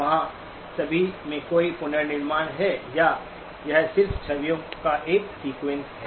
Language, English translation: Hindi, Is there any reconstruction at all or it is just a sequence of images